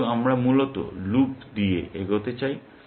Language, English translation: Bengali, Therefore, we move by mean by loops, essentially